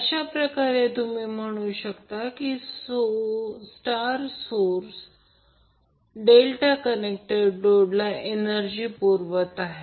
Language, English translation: Marathi, So in this way you can say that the star source is feeding power to the delta connected load